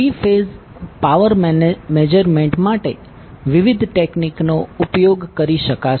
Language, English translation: Gujarati, Will use different techniques for three phase power measurement